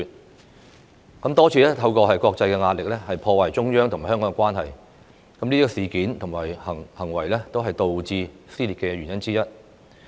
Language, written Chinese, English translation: Cantonese, 他們多次透過國際壓力，破壞中央和香港的關係，這些事件和行為均是導致社會撕裂的原因之一。, They damage the relationship between the Central Authorities and Hong Kong through international pressure many times . All these incidents and behaviour are some of the reasons for social dissension